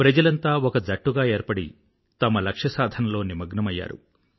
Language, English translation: Telugu, All of them came together as a team to accomplish their mission